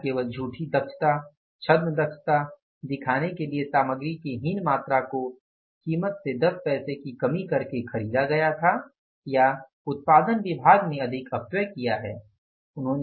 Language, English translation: Hindi, Whether inferior quantity of the material was purchased just to show the false efficiency, pseudo efficiency by reducing the price by 10 pesos or the production department has caused more wastages